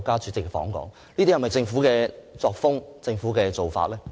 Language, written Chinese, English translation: Cantonese, 這是否政府的作風和做法呢？, Is it the attitude and approach adopted by the Government?